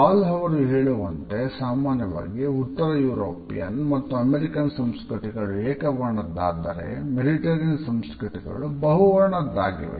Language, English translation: Kannada, In general Hall suggest that northern European and American cultures are monochronic and mediterranean cultures are polychronic